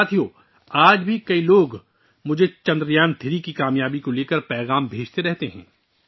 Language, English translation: Urdu, Friends, even today many people are sending me messages pertaining to the success of Chandrayaan3